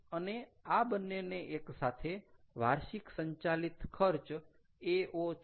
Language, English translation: Gujarati, ok, and these two together is annual operating cost, ao, ok